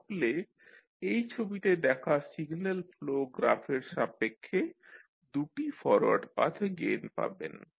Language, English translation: Bengali, So, if you see this particular signal flow graph there are 2 forward Path gains for the particular signal flow graph